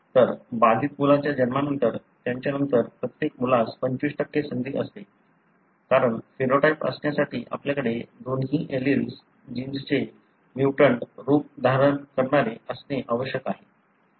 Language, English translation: Marathi, So, after the birth of an affected child, each subsequent child has 25% chance, because, for you to have the phenotype you have to have both alleles carrying the mutant forms of the gene